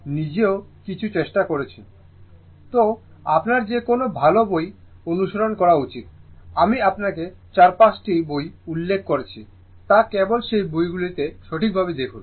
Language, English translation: Bengali, So, any any any good book you should follow, the books which I have referred there in yourthis thing your4 5 books referredjustjust see those books right